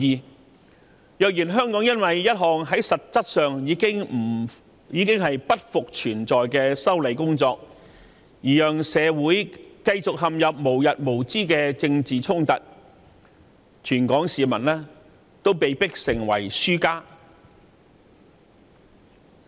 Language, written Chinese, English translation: Cantonese, 倘若香港社會因為一項實質上不復存在的修例工作而陷入無日無之的政治衝突，全港市民都會被迫成為輸家。, If Hong Kong lapses into a never - ending political conflict caused by a legislative amendment exercise which no longer exists in effect all people of Hong Kong will become losers